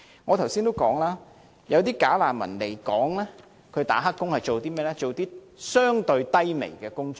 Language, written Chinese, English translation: Cantonese, 我剛才已經指出，"假難民"來港當"黑工"，所做的是甚麼工作呢？, As I pointed out just now what kinds of jobs do bogus refugees normally take up when they are illegally employed in Hong Kong?